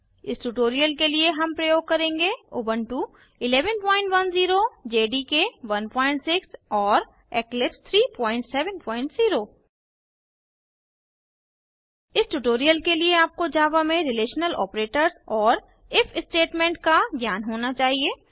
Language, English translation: Hindi, For this tutorial we are using Ubuntu 11.10, JDK 1.6 and Eclipse 3.7.0 For this tutorial, you should have knowledge on relational operators and if statement in Java